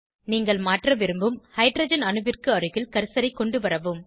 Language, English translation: Tamil, Bring the cursor to the Hydrogen atom you want to substitute